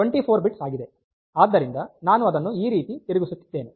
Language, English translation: Kannada, So, I will be rotating it like this